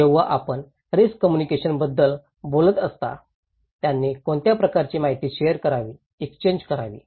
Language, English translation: Marathi, When you are talking about risk communication, what kind of information they should share, exchange